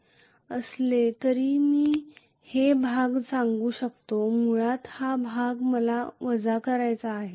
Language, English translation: Marathi, But anyway I can say basically this area I have to minus until this portion